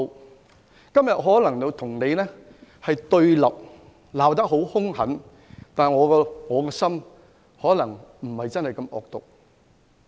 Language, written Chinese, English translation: Cantonese, 我今天可能與你對立，會罵得很兇狠，但我的內心可能並非真的那麼惡毒。, Today I may confront you and chastise you severely but I may not be that evil deep in my heart